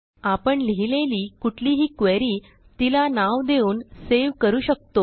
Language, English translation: Marathi, We can save this query or any query we write and give them descriptive names